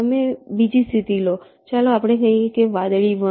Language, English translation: Gujarati, you take another state, lets say blue one